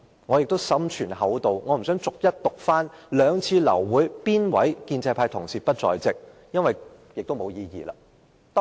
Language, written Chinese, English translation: Cantonese, 我心存厚道，不想逐一讀出哪位建制派同事於兩次流會之時缺席，因為根本沒有意義。, I try to be kind and will not name those pro - establishment colleagues who were absent when the two said meetings were aborted . It is simply meaningless to do so